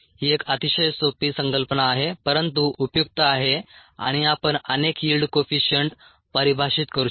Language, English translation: Marathi, it's a very simple concept but useful, and you could define many yield coefficients